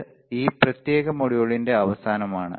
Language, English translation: Malayalam, So, this is end of this particular module